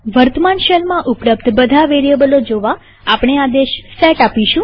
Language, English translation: Gujarati, To see all the variables available in the current shell , we run the command set